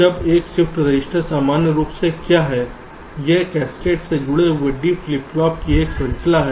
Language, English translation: Hindi, now a shift register is normally what it is: a chain of d flip flops connected in cascade